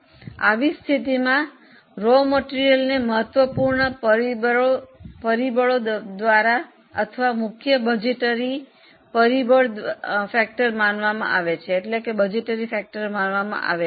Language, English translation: Gujarati, In such a scenario, raw material is considered as a key factor or sometimes it's called as a principal budgetary factor